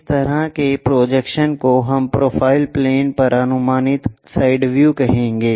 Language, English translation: Hindi, This kind of projection what we will call side view projected on to profile plane